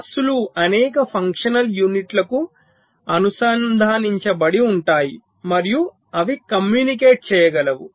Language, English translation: Telugu, the buses are connect to several function units and they can communicate